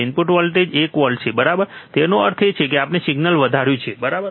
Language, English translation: Gujarati, Input voltage is one volt right; that means, that we have amplified the signal, right